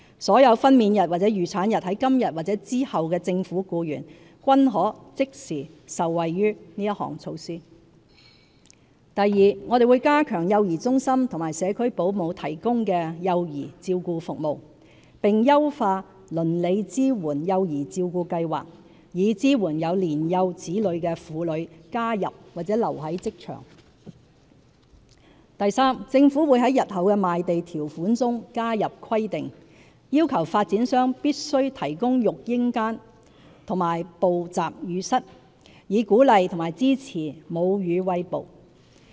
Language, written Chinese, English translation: Cantonese, 所有分娩日或預產日在今日或之後的政府僱員，均可即時受惠於這項措施； 2我們會加強幼兒中心和社區保姆提供幼兒照顧服務，並優化"鄰里支援幼兒照顧計劃"，以支援有年幼子女的婦女加入或留在職場； 3政府會在日後的賣地條款中加入規定，要求發展商必須提供育嬰間和哺集乳室，以鼓勵和支援母乳餵哺。, Officers whose actual or expected date of confinement falls on or after today will all benefit from this initiative; ii we will strengthen child care services provided by child care centres and home - based child carers and enhance the Neighbourhood Support Child Care Project so as to enable women with young children to take up or stay in employment; iii the Government will include in future sale conditions of land a requirement for the provision of babycare facilities and lactation rooms by developers to encourage and support breastfeeding